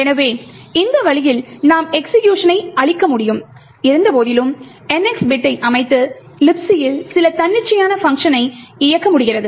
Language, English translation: Tamil, So, in this way we are able to subvert execution and in spite of the NX bit set we are able to execute some arbitrary function present in the LibC